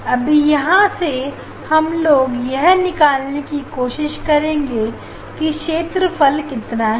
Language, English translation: Hindi, now, from this construction, we would like to find out this what is the area